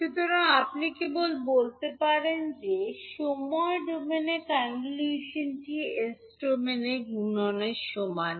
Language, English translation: Bengali, So you can simply say that the convolution in time domain is equivalent to the multiplication in s domain